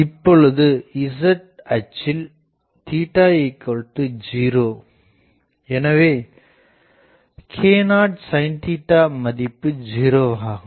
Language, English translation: Tamil, Now, on the z axis on the z axis theta is 0 so, k not sin theta fully 0